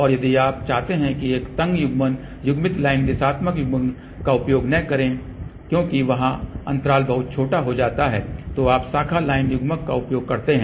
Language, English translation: Hindi, And if you want a tight coupling do not use coupled line directional coupling because there the gaps become very small you use branch line coupler